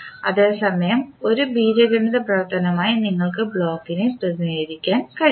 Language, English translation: Malayalam, At the same time you can represent the block as an algebraical function